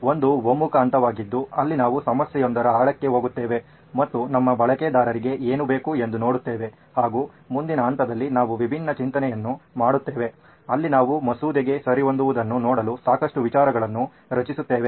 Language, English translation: Kannada, One is the convergent phase where we go deeper into a problem and see what it is that your user needs and in the next phase we do the divergent thinking where we generate a lot of ideas to see what fits the bill